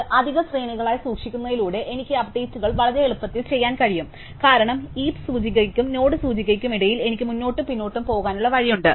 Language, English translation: Malayalam, So, by keeping this to extra arrays, right, I can do these updates very easily, because I have a way of going backwards and forwards between the heap index, and the node index